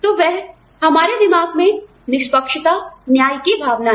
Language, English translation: Hindi, So, that is the fairness, the sense of justice, in our minds